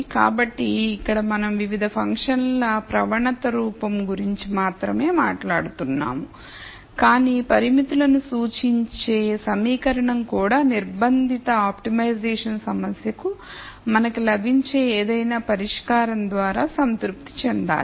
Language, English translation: Telugu, So, here we are only talking about the gradient form of the various functions, but the equation which repre sents the constraints also needs to be satis ed by any solution that we get for the constrained optimization problem